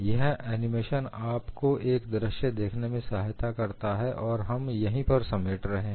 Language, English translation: Hindi, And this animation is nicely done to give you that visual appreciation and that is what is summarized here